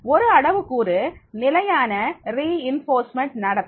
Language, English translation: Tamil, One parameter is the fixed reinforcement behavior